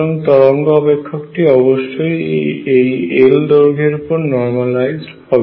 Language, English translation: Bengali, So, the wave function is also normalized over this length L